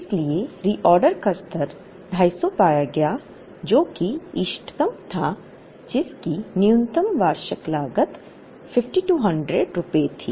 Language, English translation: Hindi, So, reorder level was found to be 250 which was optimum, which had the least annual cost of rupees 5200